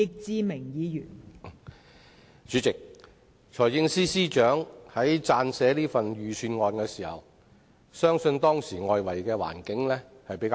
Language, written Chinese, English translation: Cantonese, 代理主席，財政司司長在撰寫本年度的財政預算案時，外圍環境比較好。, Deputy President when the Financial Secretary was drafting the Budget for this year the external environment was relatively favourable